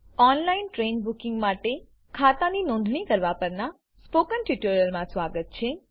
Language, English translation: Gujarati, Welcome to the spoken tutorial on Registration of an account for online train booking